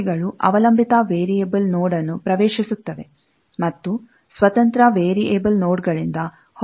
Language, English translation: Kannada, Branches enter a dependent variable node, and emanate from independent variable nodes